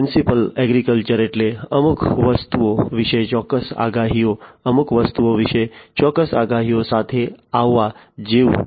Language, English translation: Gujarati, Precision agriculture means like you know coming up with precise predictions about certain things, precise predictions about certain things